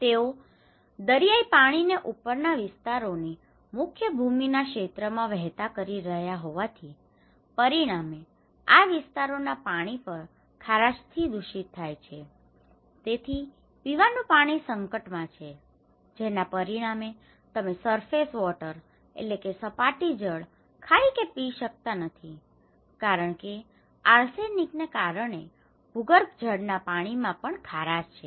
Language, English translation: Gujarati, They are channelising the seawater into mainland areas, so as upland areas; as a result, these areas are also contaminated by water salinity so, drinking water is in crisis, you cannot eat, you cannot drink surface water because this water is saline, and the groundwater because of arsenic